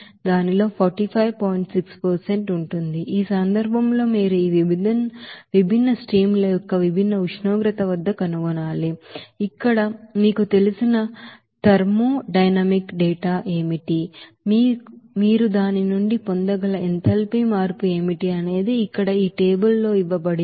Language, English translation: Telugu, So in this case, you have to find out at a different temperature of this different streams, what will be the you know thermodynamic data like this here what will be the enthalpy change there that you can get from it is a steam table here it is given in this table here